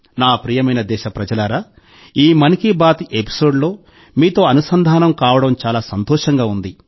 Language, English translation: Telugu, My dear countrymen, it was great to connect with you in this episode of Mann ki Baat